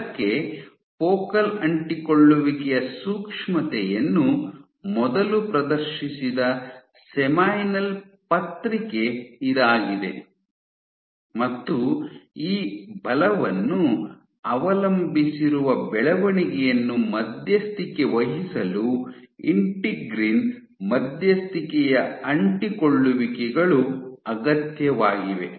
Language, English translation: Kannada, So, this was the seminal paper which first demonstrated the sensitivity of focal adhesions to forces and also that integrin mediated adhesions are necessary in order to mediate this force dependent growth